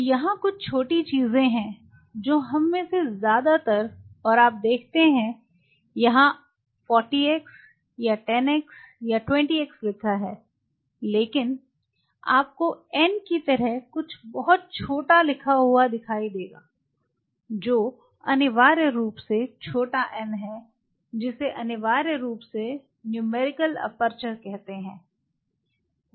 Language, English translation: Hindi, So, out here there is some small things which most of us and you only look for it is written 40 x or 10 a x or you know 20 a x like you know likewise so and so forth, but that you will see something very small written like n, which is essentially small n which is essentially call the numerical aperture is called numerical aperture